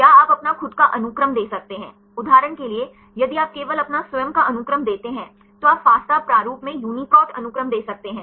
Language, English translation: Hindi, Or you can give your own sequence; for example, if you only give your own sequence, you can give the UniProt sequences in fasta format